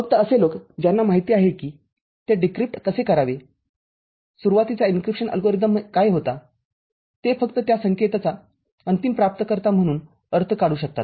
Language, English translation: Marathi, Only the person who knows how to decrypt it what was the initial encryption algorithm, they are the ones who can make a meaning as the final recipient of that signal